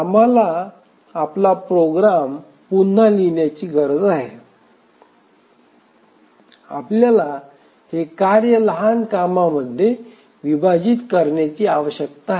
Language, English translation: Marathi, We need to bit of rewrite our program and we need to split this task into smaller tasks